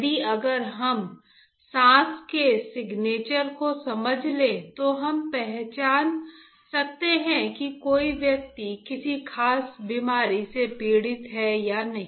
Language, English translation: Hindi, That means, if we can understand the breath signature, we can identify whether a person is suffering from a particular disease or not